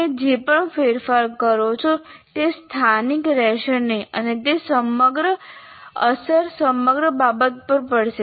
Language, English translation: Gujarati, Whatever modifications you do, they will not remain local and it will have impact on the entire thing